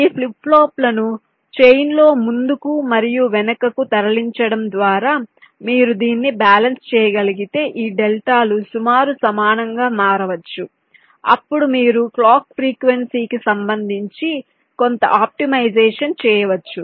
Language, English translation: Telugu, but you, we, if you can balance this out by moving this flip pops forward and backward in the change such that this deltas can become approximately equal, then you can carry out some optimization with respective to the clock frequency